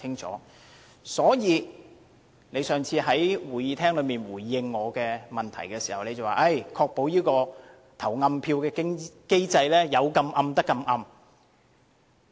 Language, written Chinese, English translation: Cantonese, 他上次在會議廳內答覆我的質詢時，表示會確保投暗票的機制有效。, In response to my question in the Chamber at a previous meeting he said he would ensure the effectiveness of the secret ballot mechanism . His response is fairly convincing